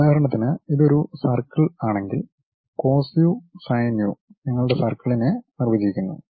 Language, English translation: Malayalam, For example, if it is a circle cos u sin u defines your circle